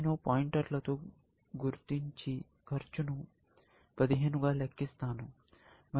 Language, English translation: Telugu, I will mark with the pointer and compute the cost, as 5 plus 10; 15, and this is 10 plus 10; 20